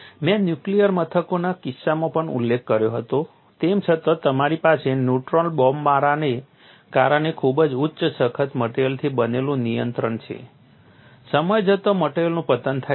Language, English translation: Gujarati, I had also mentioned in the case of nuclear installations, even though you have the containment made of very high tough materials because of neutron bombardment, over a period of time the material degrades